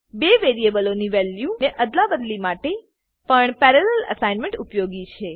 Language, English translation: Gujarati, Parallel assignment is also useful for swapping the values stored in two variables